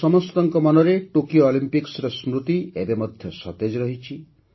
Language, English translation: Odia, The memories of the Tokyo Olympics are still fresh in our minds